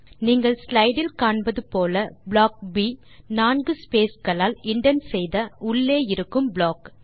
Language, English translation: Tamil, As you can see in the slide, Block B is an inner block, indented by 4 spaces